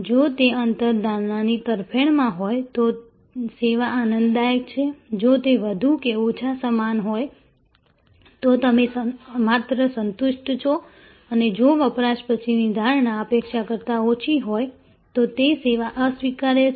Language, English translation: Gujarati, If that gap is in favor of the perception, then the service is delightful, if it is more or less equal, then you just satisfied and if the post consumption perception is less than expectation and that service is unacceptable